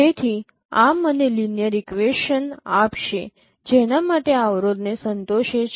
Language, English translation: Gujarati, So this will give me a set of linear equations to for which satisfies this constraint